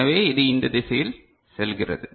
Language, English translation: Tamil, So, it goes in this direction ok